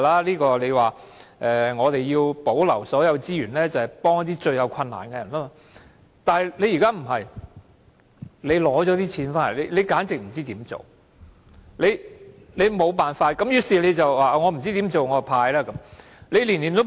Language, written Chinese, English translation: Cantonese, 政府說要保留所有資源來幫助最有困難的人，但現在政府卻不是這樣做，在取得金錢後根本不知道應該怎樣做。, The Government said all resources are reserved for helping those in the greatest difficulties . Still now the Government is not doing so absolutely not knowing what to do after obtaining the money